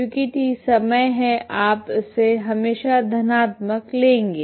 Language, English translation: Hindi, So because T is time T is always you take it as positive